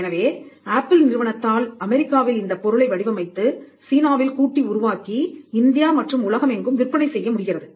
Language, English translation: Tamil, So, Apple is able to design the product in US; assemble it in China; sell it in India and across the world